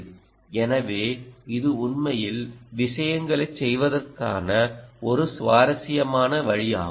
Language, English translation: Tamil, so that's really an interesting way of doing things